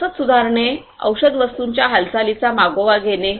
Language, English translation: Marathi, Improving logistics; tracking the movement of pharmaceutical goods